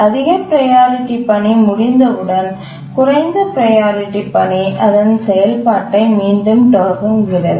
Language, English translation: Tamil, And also when the highest priority task completes, again the lowest priority task resumes its execution